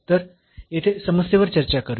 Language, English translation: Marathi, So, let us discuss the problem here